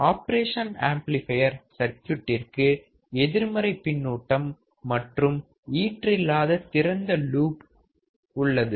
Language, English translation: Tamil, For the op amp circuit, it is having negative feedback and infinite open loop